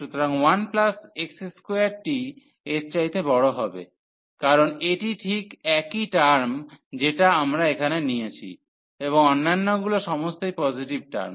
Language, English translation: Bengali, So, 1 plus x square this will be larger than this one, because this is exactly the same term we have taken here and all other are positive terms